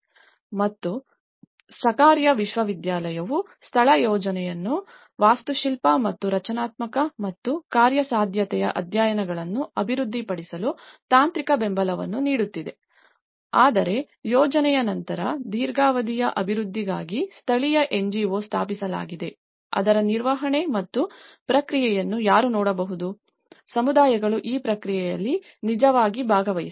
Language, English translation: Kannada, And university of the Sakarya University is providing a technical support to develop the location plans, architectural and structural and also the feasibility studies whereas, a local NGO has been established for after the project for long term development and also who also can look at the maintenance process of it so, this is where the communities have actually participated in this process